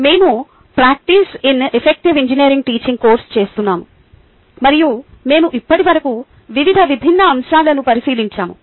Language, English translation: Telugu, we are, ah doing the course effective engineering teaching in practice and we have looked at various different topics so far